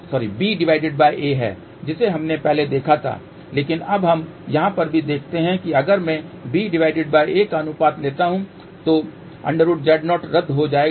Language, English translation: Hindi, So, which is b by a we had seen earlier but now, let us just look at over here also if I take the ratio of b divided by a square root Z 0 will get cancelled